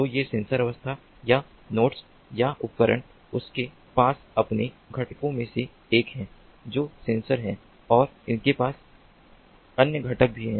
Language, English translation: Hindi, so these modes or nodes or devices, they have one of their components, which is the sensor, and they have other components as well